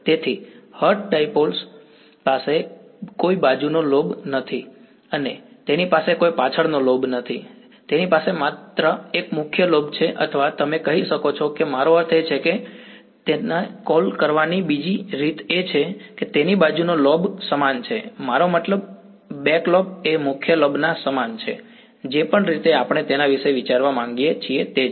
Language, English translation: Gujarati, So, the hertz dipole has no side lobe and it has no back lobe, it only has a main lobe or you can say I mean or another way of calling it is that, it has a side lobe equal, I mean a back lobe equal to the main lobe whichever way we want to think about it ok